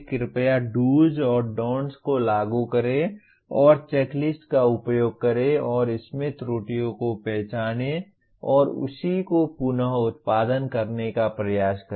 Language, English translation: Hindi, Please apply the do’s and don’ts and use the checklist and try to identify the errors in this and reword the same